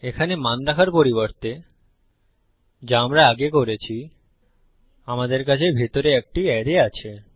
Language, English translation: Bengali, Instead of putting a value here, as we did before, we have an array inside